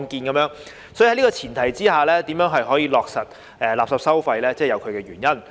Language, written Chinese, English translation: Cantonese, 所以，在這個前提下，落實垃圾收費有其原因。, So under this premise there are reasons to implement waste charging